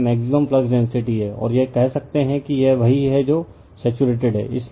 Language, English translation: Hindi, And this is your maximum flux density, and you can say this has been you are what you call it is saturated